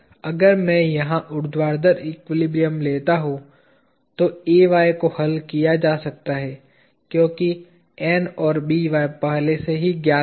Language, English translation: Hindi, If I take the vertical equilibrium here Ay can be solved for because N and By are already known